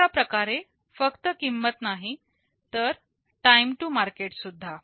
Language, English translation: Marathi, Thus not only the cost, but also the time to market